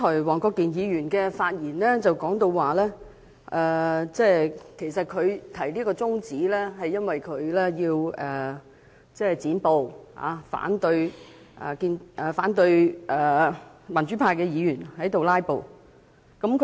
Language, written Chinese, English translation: Cantonese, 黃國健議員剛才發言時表示，他提出中止待續議案的原因是要"剪布"，反對民主派議員"拉布"。, Mr WONG Kwok - kin said in his speech just now that the adjournment motion was moved to cut off the filibuster and also as a counteraction against the attempts made by Members of the pro - democracy camp to filibuster